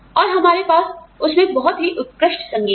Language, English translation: Hindi, And, we got very classic music on them